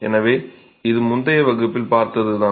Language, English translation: Tamil, So, this is a concept that we did see in the previous class